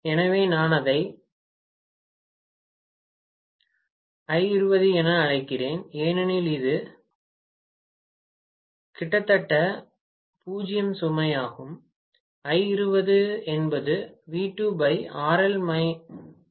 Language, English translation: Tamil, So, I am calling that as I20 because it is at almost 0 load